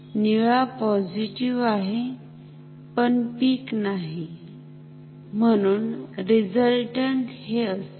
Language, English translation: Marathi, Blue is positive, but not the peak, so the resultant will be this